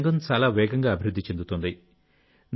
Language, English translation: Telugu, This sector is progressing very fast